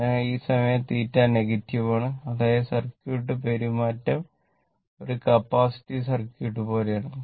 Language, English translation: Malayalam, So, this time theta is negative that means what you call that circuit behavior is like a capacitive circuit